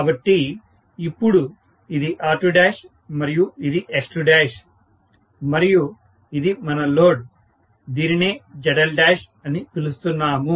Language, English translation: Telugu, So, now this is R2 dash, this is X2 dash and then this is what is our load, which we are calling as ZL dash, right